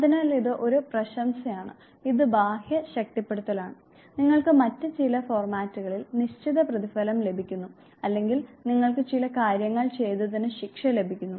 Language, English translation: Malayalam, So, this is a praise, this is external reinforcement, you receive certain reward in some other formats or for doing certain things you receive a punishment